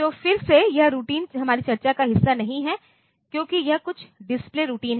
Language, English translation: Hindi, So, again this routine is not a part of our discussion because this is some display routines